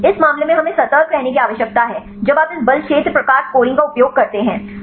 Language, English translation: Hindi, In this case we need to be cautious when you use this force field type scoring